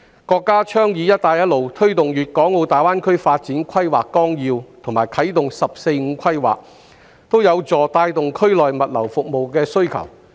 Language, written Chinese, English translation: Cantonese, 國家倡議"一帶一路"、推動粵港澳大灣區發展規劃綱要和啟動"十四五"規劃，均有助帶動區內物流服務的需求。, The countrys advocacy of the Belt and Road Initiative promotion of the Outline Development Plan for the Guangdong - Hong Kong - Macao Greater Bay Area and implementation of the 14 Five - Year Plan will all help boost the demand for logistics services in the region